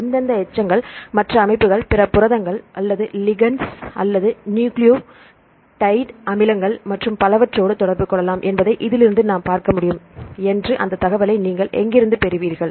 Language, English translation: Tamil, Where did you get that information we can see if we from this we can see which residues can interact with other systems, other proteins or ligands or nucleotide acids and so on